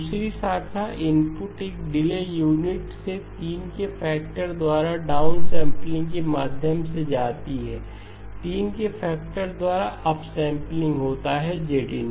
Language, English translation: Hindi, The second branch input comes goes through one delay unit down sampling by a factor of 3, up sampling by a factor of 3, Z inverse